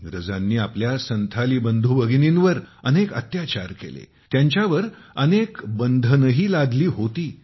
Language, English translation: Marathi, The British had committed many atrocities on our Santhal brothers and sisters, and had also imposed many types of restrictions on them